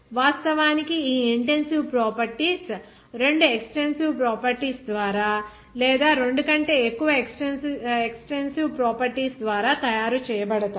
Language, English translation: Telugu, Actually, these intensive properties are made by two extensive properties or even more than two extensive properties